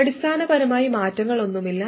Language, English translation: Malayalam, Basically neither of these changes